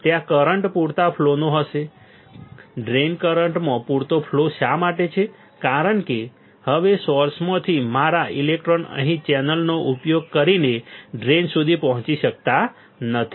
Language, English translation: Gujarati, There will be sufficient flow of current sufficient flow of drain current why because now my electrons from source cannot reach to drain using the channel here